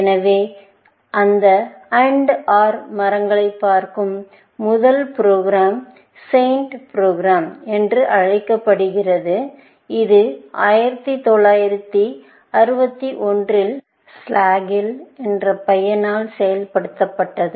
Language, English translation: Tamil, One of the first programs to look at that AND OR trees, was the program called SAINT, which was implemented by a guy called Slagle in 1961